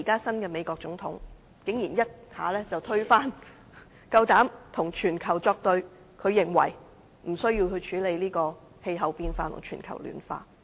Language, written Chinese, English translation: Cantonese, 新任美國總統是例外，他竟然一下子推翻此事，敢膽與全球作對，認為無需處理氣候變化及全球暖化。, Yet the new President of the United States of America is an exception . He dares renounce these problems and go against the world as a whole thinking it is unnecessary to address climate change and global warming